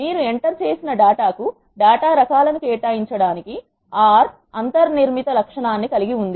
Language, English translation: Telugu, R has inbuilt characteristic to assign the data types to the data you enter